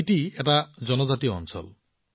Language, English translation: Assamese, Spiti is a tribal area